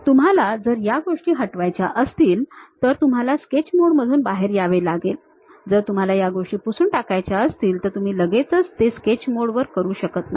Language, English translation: Marathi, You want to come out of Sketch mode because you want to delete the things, you want to erase the things you cannot straight away do it on the sketch mode